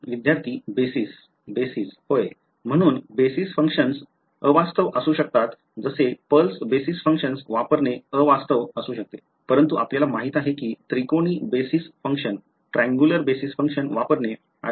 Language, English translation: Marathi, Basis yeah so basis functions may be unrealistic like using a pulse basis function may be unrealistic, but using you know a triangular basis function may be better right